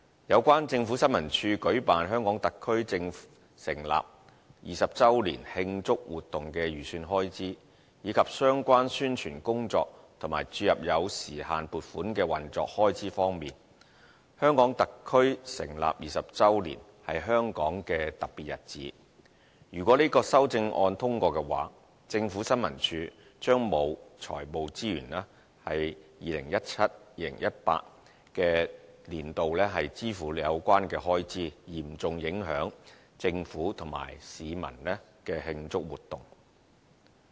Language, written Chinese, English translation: Cantonese, 有關政府新聞處舉辦香港特區政府成立20周年慶祝活動的預算開支，以及相關宣傳工作和注入有時限撥款的運作開支方面，香港特區成立20周年，是香港的特別日子，如果這項修正案獲得通過，政府新聞處將沒有財務資源在 2017-2018 年度支付有關的開支，嚴重影響政府和市民的慶祝活動。, As regards the estimated expenditure of ISD in organizing the activities celebrating the 20 anniversary of the establishment of the Hong Kong Special Administrative Region HKSAR and the injection of time - limited funding to support the relevant publicity work and the operating cost since the 20 anniversary of the establishment of HKSAR is a special day of Hong Kong if this amendment is passed ISD will have no fiscal resources to cover the expenses concerned in 2017 - 2018 and the celebratory activities of the Government and the public will be seriously affected as a result